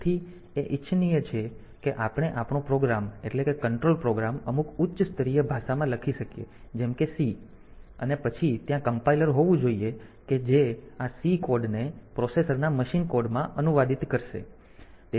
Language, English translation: Gujarati, So, it is desirable that we can write our program our control program in some high level language like say C and then the compiler should be there which will translate this C code into the machine code of the processor